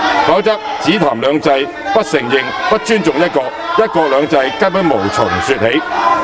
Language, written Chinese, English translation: Cantonese, 否則，只談"兩制"，不承認、不尊重"一國"，"一國兩制"根本無從說起。, For if we merely talk about two systems but deny and disrespect one country there is no way to talk about one country two systems